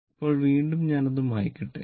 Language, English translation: Malayalam, Now, again let me clear it